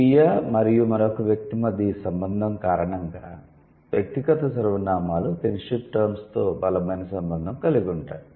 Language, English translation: Telugu, So because of this relation between self and another individual, the personal pronouns, they have strong connection with the kinship terms